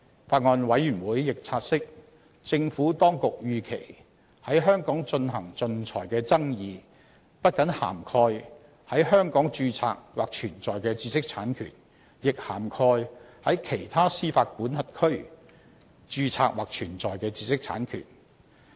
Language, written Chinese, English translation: Cantonese, 法案委員會亦察悉，政府當局預期，在香港進行仲裁的爭議不僅涵蓋在香港註冊或存在的知識產權，亦涵蓋在其他司法管轄區註冊或存在的知識產權。, The Bills Committee further notes that the Administration anticipates that the disputes that will be arbitrated in Hong Kong will cover not only IPRs that are registered or subsisting in Hong Kong but also those that are registered or subsisting in other jurisdictions